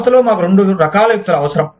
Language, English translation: Telugu, We need, both kinds of people, in the organization